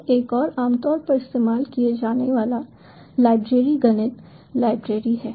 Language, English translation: Hindi, then another commonly used library is the math library